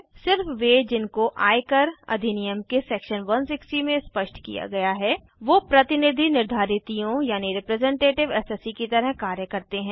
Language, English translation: Hindi, Only those specified in Section 160 of the Income tax Act, 1961 can act as representative assessees